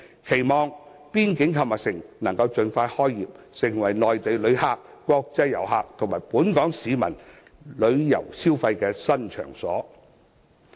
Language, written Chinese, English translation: Cantonese, 期望邊境購物城能盡快開業，成為內地旅客、國際遊客和本港市民旅遊消費的新場所。, We look forward to the early commissioning of the boundary shopping mall so that it can serve as a new shopping venue for international tourists and local people